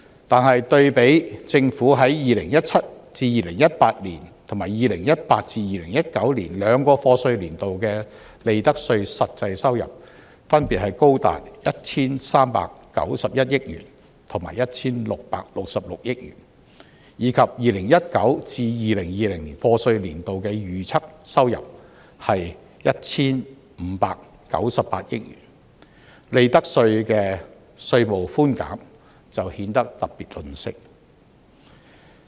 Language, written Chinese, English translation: Cantonese, 可是，對比政府於 2017-2018 及 2018-2019 兩個課稅年度的利得稅實際收入，分別高達 1,391 億元和 1,666 億元，以及 2019-2020 課稅年度的預測收入是 1,596 億元，利得稅的稅務寬減就顯得特別吝嗇。, The implementation of the two - tiered profits tax rates regime has resulted in annual revenue forgone of around 5.8 billion which equals to only 4 % of the overall revenue from profits tax of the year of assessment 2016 - 2017 . However compared with government revenue generated from profits tax for the two years of assessment of 2017 - 2018 and 2018 - 2019 which is as much as 139.1 billion and 166.6 billion respectively and also the projected revenue for the year of assessment of 2019 - 2020 of 159.6 billion the tax reduction for profits tax seems particularly mean